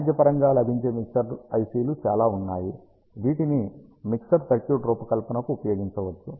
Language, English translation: Telugu, ah There are lot of commercially available mixer IC s which can be used to design a mixer circuit